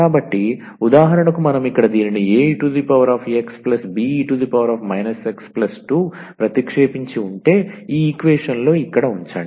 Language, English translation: Telugu, So, if we substitute for example from here, if you substitute this a e power x plus be power minus x and put it here in this equation